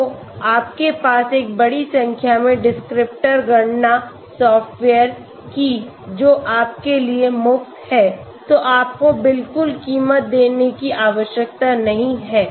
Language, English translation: Hindi, So you have a huge number of descriptor calculation softwares, which are free for you so you do not need to pay at all